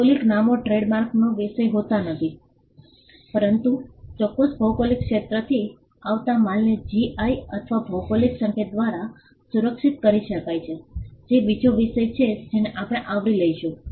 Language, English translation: Gujarati, Geographical names cannot be a subject of trademark, but goods coming from a particular geographical territory can be protected by GI or geographical indication; which is another subject that we will be covering